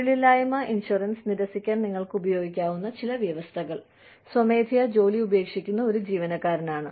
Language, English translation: Malayalam, Some conditions, that you can use, to deny unemployment insurance are, an employee, who quits voluntarily